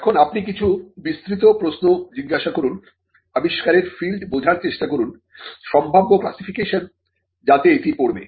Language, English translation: Bengali, Now, you ask certain broad questions, try to understand the field of invention the probable classification into which it will fall